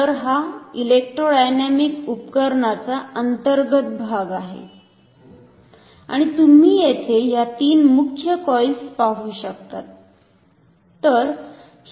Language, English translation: Marathi, So, this is the internal parts of an electrodynamic instrument and here you can see main three coils